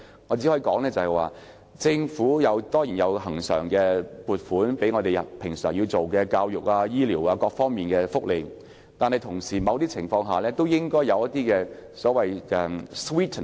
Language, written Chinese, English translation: Cantonese, 我只可以說，政府當然有提供恆常撥款，用作平常推行教育、醫療、福利等各方面的工作，但同時亦應提供所謂的甜品。, I can only say that regular funding has been provided by the Government for the promotion of regular work related to education health care welfare and so on . Meanwhile however sweeteners should also be offered